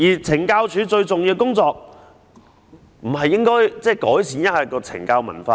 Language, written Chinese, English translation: Cantonese, 懲教署最重要的工作不是改善懲教文化嗎？, Is improving the culture of correctional services not the most important job of CSD?